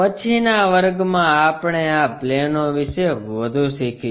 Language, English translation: Gujarati, In the next class, we will learn more about these planes